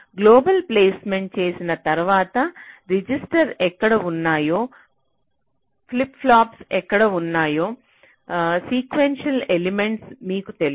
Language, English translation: Telugu, so once you have done global placement, you know where your registers are, where your flip pops are, the sequential elements